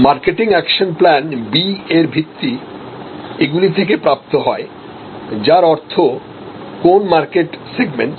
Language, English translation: Bengali, And this is marketing action plan B is based on these and these are derived; that means, which market segment